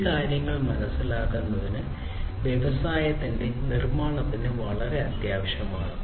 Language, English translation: Malayalam, So, understanding these things are very vital; very essential for the building of the industry 4